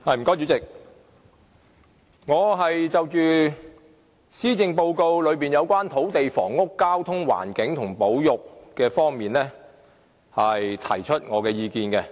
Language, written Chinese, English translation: Cantonese, 主席，我會就施政報告內有關土地、房屋、交通、環境和保育方面，提出我的意見。, President I will express my views on the Policy Address in relation to land housing transportation environment and conservation